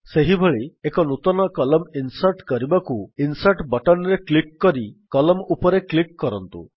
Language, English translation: Odia, Similarly, for inserting a new column, just click on the Insert button in the menu bar and click on Columns